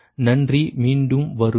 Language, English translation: Tamil, so thank you again